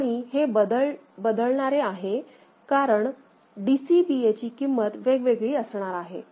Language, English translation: Marathi, So, this is variable because DCBA value can be different right